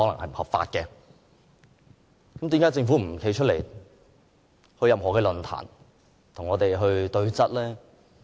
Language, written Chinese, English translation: Cantonese, 為何政府不肯出席任何論壇，與我們對質？, Why does the Government refuse to argue things out with us in a public forum any public forum?